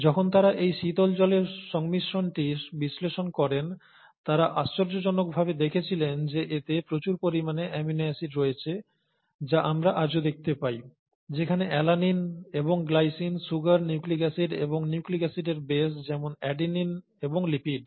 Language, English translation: Bengali, And when they analyze the composition of this cooled water, they found to their amazement that it consisted of a lot of amino acids that we even see today, such as alinine and glycine, sugars, nucleic acid, and nucleic acid bases like adenine and lipids